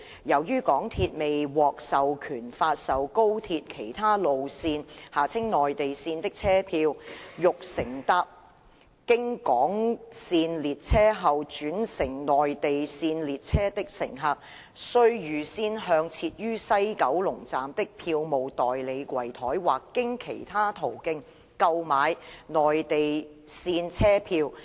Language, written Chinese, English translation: Cantonese, 由於港鐵未獲授權發售高鐵其他路線的車票，欲乘搭經港線列車後轉乘內地線列車的乘客，需預先向設於西九龍站的票務代理櫃枱或經其他途徑購買內地線車票。, Since MTRCL has not been authorized to sell tickets for the other high - speed rail routes passengers who wish to change to trains along the Mainland routes after travelling on trains along the HK routes have to buy in advance tickets for the Mainland routes at the counters operated by a ticketing agent at WKS or through other means